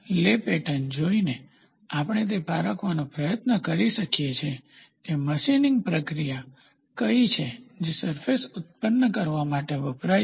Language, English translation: Gujarati, By looking at the lay pattern, we can try to distinguish what is the machining process which is been used to generate the surface